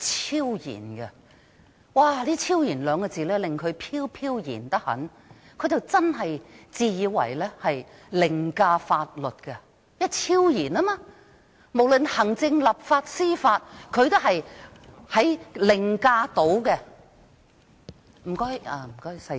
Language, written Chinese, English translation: Cantonese, "超然"這兩個字令他非常飄飄然，真的以為自己可以凌駕法律，因為他是"超然"的，無論行政、立法和司法，他都能凌駕。, Obviously he is overwhelmed by the word transcendent . LEUNG Chun - ying really thinks he is above the law because his status is transcendent and hence he is over and above the executive the legislature and the judiciary